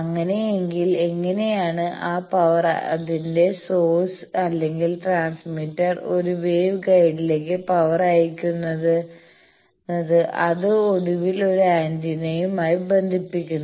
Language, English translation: Malayalam, In that case how that power, the source of that or the transmitter that sends the power to a wave guide and that finally, connects to an antenna